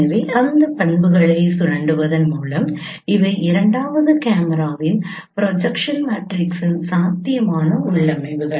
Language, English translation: Tamil, So by exploiting those properties these are the possible configurations of the projection matrix of the second camera